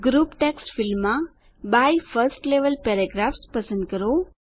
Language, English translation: Gujarati, In the Group text field, select By 1st level paragraphs